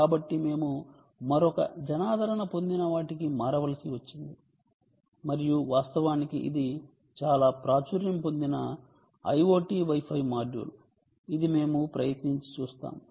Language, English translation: Telugu, so we had to shift to another popular one, and indeed this is a very popular i o t ah wifi module which we will try and see